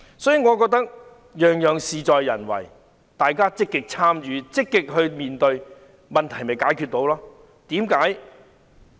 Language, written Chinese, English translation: Cantonese, 所以，我認為只是事在人為，大家積極參與、積極面對，問題便得以解決。, Hence I think it is a matter of ones own will . If we can work proactively and face the problems positively we together can solve the problems